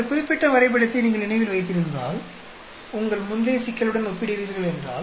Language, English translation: Tamil, If you compare this particular graph as against your previous problem if you remember